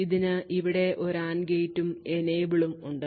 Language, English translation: Malayalam, So, it has an AND gate over here and an Enable